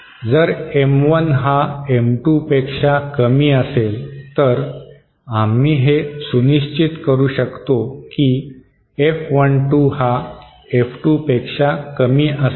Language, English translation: Marathi, If M1 is lesser than M2, then we can ensure that F12 will be lesser than F2